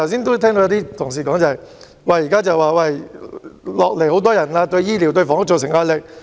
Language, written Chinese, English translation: Cantonese, 剛才有些同事說，現在新移民人數增加，對醫療和房屋造成壓力。, Some colleagues said just now the increasing number of new arrivals had brought pressure on health care and housing